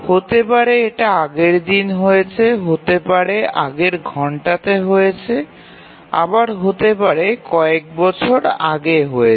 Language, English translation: Bengali, It could have been entered the previous day, previous hour or may be several years back